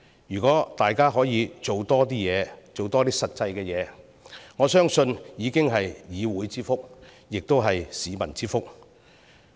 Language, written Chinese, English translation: Cantonese, 如果大家可以多做實事，我相信已是議會之福，亦是市民之福。, I believe Members will do a great service to both the Council and the public by doing more solid work